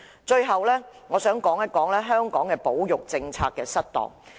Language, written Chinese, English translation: Cantonese, 最後，我想談談香港保育政策失當的問題。, Finally I want to talk about the problem of ineffective conservation policy of Hong Kong